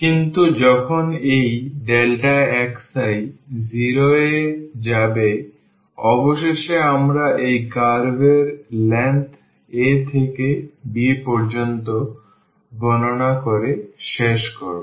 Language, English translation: Bengali, But, when this delta x i will go to 0 eventually we will end up with calculating the length of this curve from a to b